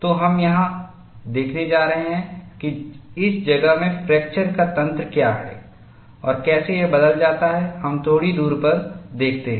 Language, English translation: Hindi, So, we are going to look at, what is the mechanism of fracture in this place and how does it change, as we look at, a little distance away